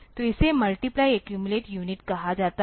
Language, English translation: Hindi, So, this is called multiply accumulate unit